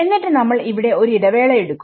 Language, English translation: Malayalam, So, we will take a pause over here ok